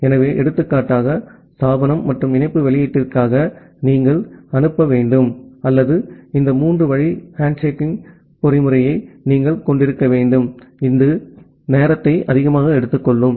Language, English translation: Tamil, So, for example, for the connection establishment and the connection release, you need to send or you need to have this three way handshaking mechanism which is time consuming